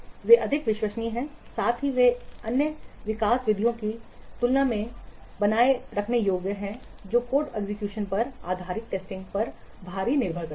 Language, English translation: Hindi, Those are more reliable, also they are maintainable than other development methods which are relying heavily on code execution based testing